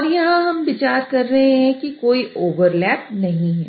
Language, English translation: Hindi, So here it was just an example where I did not consider any overlap